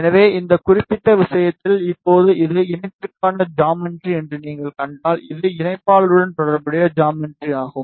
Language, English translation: Tamil, So, in this particular case now if you see this is the geometry for the combiner this is a geometry corresponding to adamation